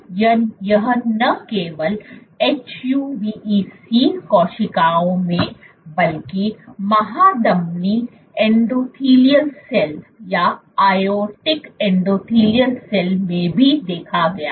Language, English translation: Hindi, So, this was this they observed not only in HUVEC cells, but also in aortic endothelial cell